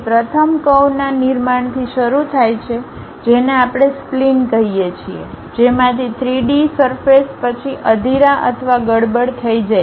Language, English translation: Gujarati, So, first begins with construction of curves which we call splines, from which 3D surfaces then swept or meshed through